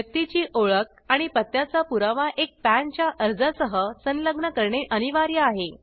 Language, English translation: Marathi, Attaching proof of identity and proof of address with a PAN application is mandatory